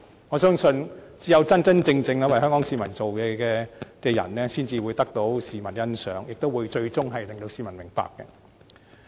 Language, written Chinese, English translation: Cantonese, 我相信只有真真正正為香港市民做事的人，才會得到市民欣賞，最終令市民明白。, I trust that only those who genuinely work for Hong Kong people will get the appreciation and understanding of the general public at the end of the day